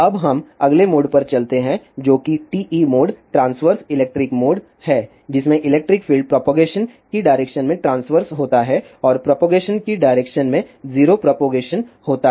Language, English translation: Hindi, Now, let us move on to the next mode which is TE mode transverse electric mode in which the electric field is transverse through the direction of propagation and there is 0 electric field in the direction of propagation